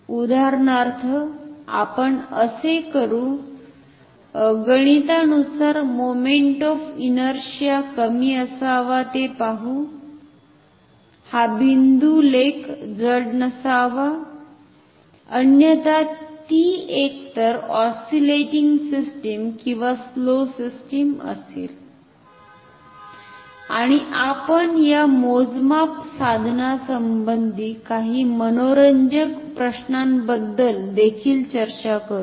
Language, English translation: Marathi, For example, we will so, mathematically that the moment of inertia should be low, the point article should not be heavy, otherwise it will be either oscillating system or a slow system, and we will talk about also few interesting questions regarding this measuring instrument ok